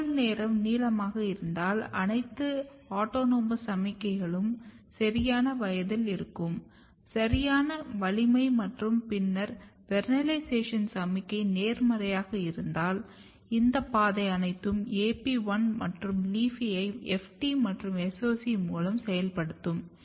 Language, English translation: Tamil, Arabidopsis thaliana is a long day plant if day length is long day if all the autonomous signaling means plant is at the right age, right strength and then vernalization signal is positive if everything is ok, then all this pathway will activate eventually AP1 and LEAFY through FT and SOC1